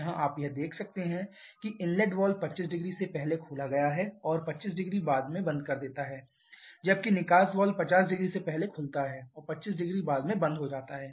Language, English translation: Hindi, Here also you can see the inlet valve has been opened 250 before and closes 250 afterwards, whereas the exhaust valve opens 500 before and closes 250 afterwards